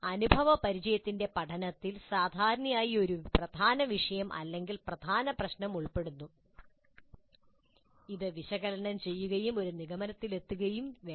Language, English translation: Malayalam, Experiential learning generally involves a core issue or a core problem that must be analyzed and then brought to a conclusion